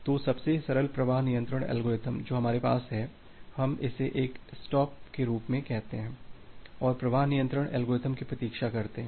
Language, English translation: Hindi, So, the simplest flow control algorithm that we have, we call it as a stop and wait flow control algorithm